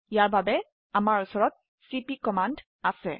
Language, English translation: Assamese, For this we have the cp command